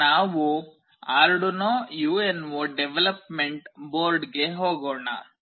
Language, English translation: Kannada, Let us now move on to Arduino UNO development board